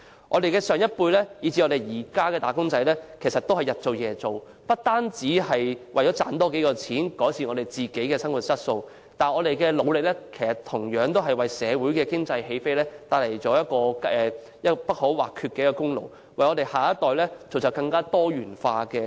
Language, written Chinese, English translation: Cantonese, 我們的上一輩以至現今的"打工仔"都日以繼夜地工作，不只為了多賺點錢，改善生活質素，同時也帶動香港經濟起飛，為下一代造就更多元化的出路，我們對社會作出貢獻，功不可沒。, Our older generation and the wage earners nowadays have worked day and night not only for earning more money to improve their quality of living . They have also stimulated Hong Kongs economic take - off creating more diversified outlets for the next generation . Their contribution to society cannot be denied